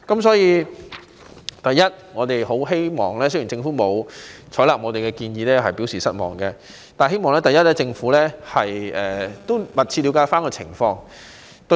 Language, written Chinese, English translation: Cantonese, 雖然我們對政府沒有採納我們的建議表示失望，但希望政府能密切了解有關情況。, Although we are disappointed that the Government has not adopted our proposal we hope that it will pay close attention to the situation